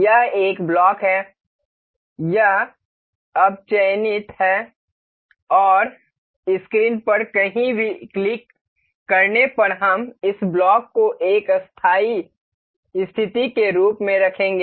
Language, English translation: Hindi, This is a block, this is now selected and clicking anywhere on the screen we will place this block as a permanent position